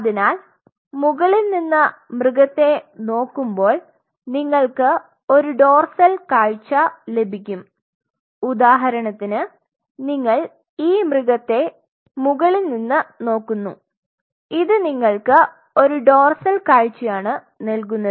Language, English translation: Malayalam, So, when you see the animal from the top you get a dorsal view when you see from the bottom see for example, you are seeing the animal from the top, this gives you a dorsal view